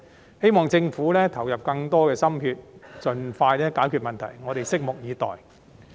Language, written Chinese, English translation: Cantonese, 我希望政府投入更多心血，盡快解決問題。我們對此拭目以待。, I just hope that the Government will devote more efforts to resolving the problems expeditiously and we look forward to seeing that